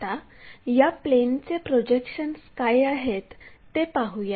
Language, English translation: Marathi, Let us look at what are these projections of planes